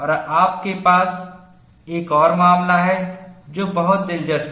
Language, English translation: Hindi, And you have another case, which is very interesting